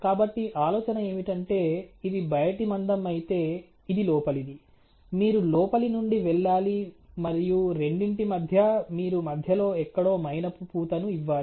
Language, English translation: Telugu, So, the idea is that if this is the thickness where this is the outer, this is the inner, you have to go from the inside and in between the two you have to give the wax coating somewhere in the middle